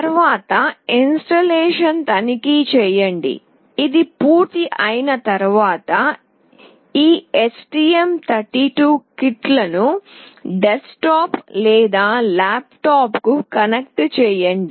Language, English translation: Telugu, Next checking the installation; once it is already done connect this STM32 kit to the desktop or laptop